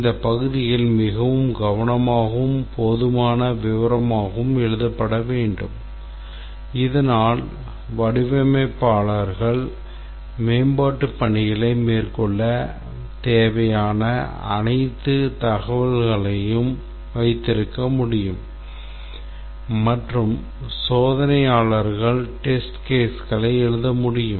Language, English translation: Tamil, In this section has to be written very carefully and in sufficient detail so that the designers can have all the information they need to carry out the development work and for the testers to be able to write the test cases